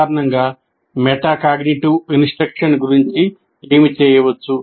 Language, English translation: Telugu, And in general what can be done about metacognitive instruction